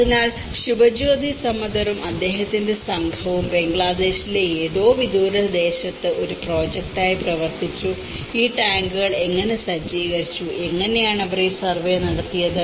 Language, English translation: Malayalam, So, Subhajyoti Samaddar and his team worked as a project in some remote area of Bangladesh and how this set up of tanks have been diffused and how they did this whole survey